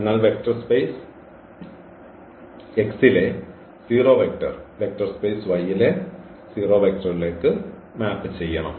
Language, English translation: Malayalam, So, 0 should map to the 0 vector in the vector space Y